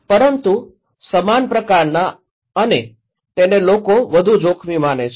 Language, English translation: Gujarati, But similar kind of and these are considered to be more risky by the people